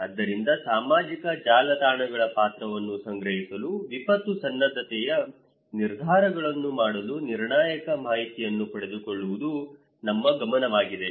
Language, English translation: Kannada, So, what is the role of social networks to collect, to obtain critical information for making disaster preparedness decisions that would be our focus